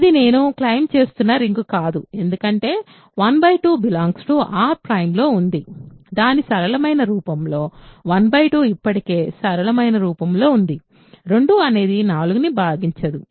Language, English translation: Telugu, So, this is not a ring I claim because 1 by 2 is in R prime right, in its simplest form which 1 by 2 is in already simplest form, 4 does not divide 2